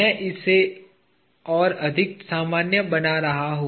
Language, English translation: Hindi, I am making it more general